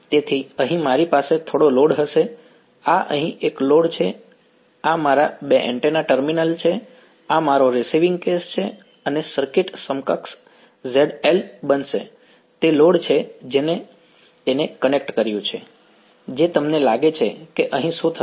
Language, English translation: Gujarati, So, here I will have some load right, this is a load over here this is my two antennas terminals this is my receiving case and the circuit equivalent will become ZL is the load across which have connected it what you think will happen over here across from here